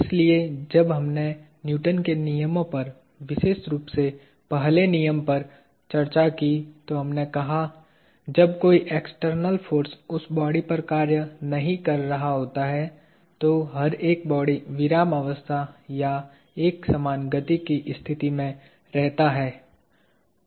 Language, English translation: Hindi, So, when we discussed Newton laws especially the first law, we said, everybody remains in a state of rest or uniform motion when no external force acts upon it